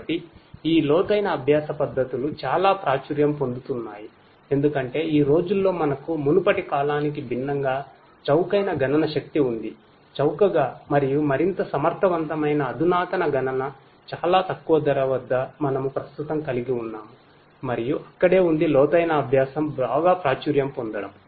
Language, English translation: Telugu, So, these deep learning methods are getting very popular due to the fact that nowadays we have cheap computing power unlike in the previous times, cheap and much more efficient advanced computing at a very reduced price we are able to have at present and that is where deep learning is getting very popular